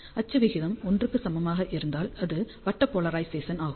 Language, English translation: Tamil, So, if axial ratio is equal to 1, then it is circular polarization